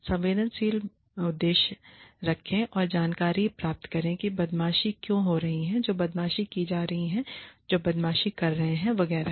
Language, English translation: Hindi, Be sensitive, objective, and seek information, to find out, where bullying is occurring, why bullying is occurring, who is being bullied, who is bullying, etcetera